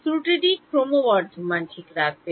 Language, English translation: Bengali, The error will keep increasing right